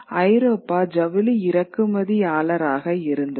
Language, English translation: Tamil, The Europe was a net importer of textiles